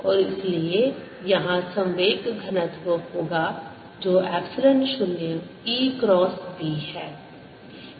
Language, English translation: Hindi, and therefore there's going to be momentum density which is going to be epsilon zero e cross b between a and b